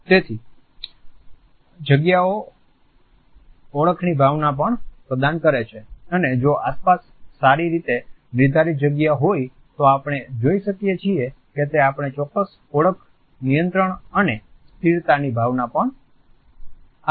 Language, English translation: Gujarati, So, the space also imparts a sense of identity and if we have a well defined space around us we find that it also gives us a certain sense of identity control and permanence